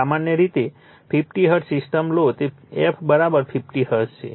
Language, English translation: Gujarati, Generally, you take it is a 50 hertz system f it = 50 hertz